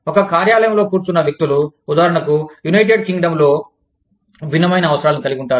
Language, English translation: Telugu, People sitting in the one office, in say, the United Kingdom, will have a different set of needs